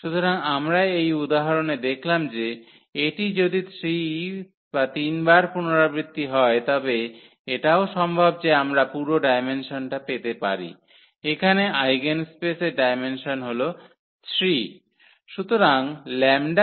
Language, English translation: Bengali, So, we have seen in this example that, if it is repeated 3 times it is also possible that we can get the full dimension, here the dimension of the eigenspace that is 3